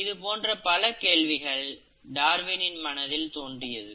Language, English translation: Tamil, These are the kind of questions that Darwin was asking at that point of time